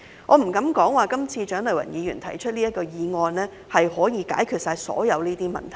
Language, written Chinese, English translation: Cantonese, 我不敢說蔣麗芸議員這次提出的議案可以解決所有問題。, I dare not say that the motion proposed by Dr CHIANG Lai - wan this time can resolve all the problems